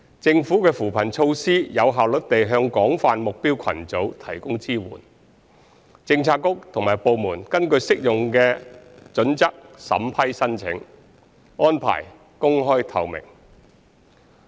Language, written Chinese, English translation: Cantonese, 政府的扶貧措施可有效率地向廣泛目標群組提供支援，政策局及部門根據適用的準則審批申請，安排公開透明。, The Governments poverty alleviation measures can effectively provide support to the target groups across the community . Applications are processed according to the applicable criteria . Such arrangements are open and transparent